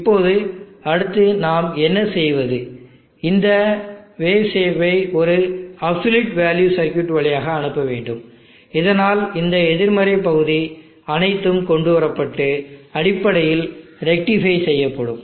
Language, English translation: Tamil, Now next what we do is pass this wave shape through an absolute value circuit, so that all this negative portion will bring it up and rectify basically